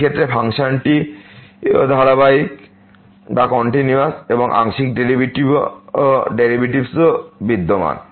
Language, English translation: Bengali, In this case function is also continuous and partial derivatives also exist